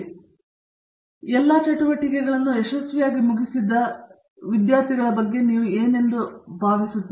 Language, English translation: Kannada, So, you were speaking about you know the successful students who complete all their activities here successful and so on